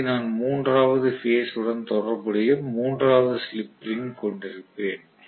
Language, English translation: Tamil, And I am going to have a third slip ring which is corresponding to the third phase